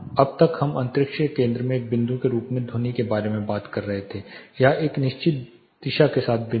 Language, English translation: Hindi, So far we have been talking about sound as a point in the center of the space or point with a direction fix to some point